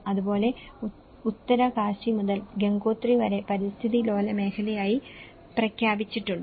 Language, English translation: Malayalam, Similarly, in Uttarkashi to Gangotri, where the eco sensitive zone has been declared